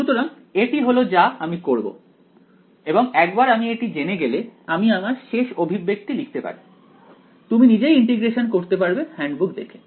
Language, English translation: Bengali, So, that is what I will do and once I know this it turns out I will just write down the final expression you can do this integration yourselves looking at the handbooks